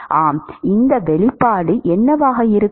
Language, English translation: Tamil, Yeah, what will be this expression